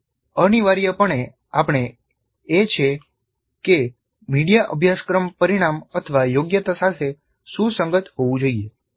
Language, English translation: Gujarati, That essentially means that the media must be consistent with the course outcome or the competency